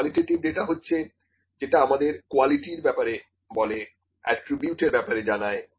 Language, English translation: Bengali, Qualitative is the qualitative data is the one which just tells about the quality, it is about the attributes, ok